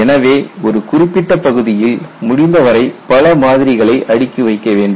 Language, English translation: Tamil, So, you need to stack as many specimens as possible in a given area